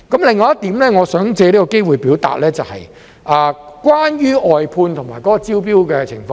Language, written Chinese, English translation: Cantonese, 另外一點，我想借這個機會表達，就是關於外判及招標的情況。, Another point that I would like to take this opportunity to make is about outsourcing and tendering